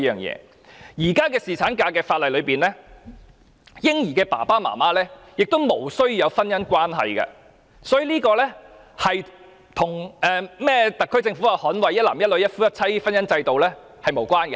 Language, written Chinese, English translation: Cantonese, 在現時的侍產假法例中，嬰兒父母是無須有婚姻關係的，所以這與特區政府提到捍衞一男一女、一夫一妻制的婚姻制度是無關的。, Under the existing legislation on paternity leave the parents of a baby do not necessarily have a marriage relationship . This is thus unrelated to the monogamous marriage consisting of one male and one female upheld by the SAR Government